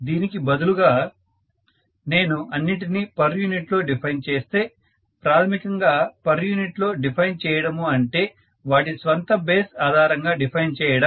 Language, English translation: Telugu, Rather than this if I had defined everything in terms of per unit, the per unit basically define everything with respect to its own base, it doesn’t really change it in any other way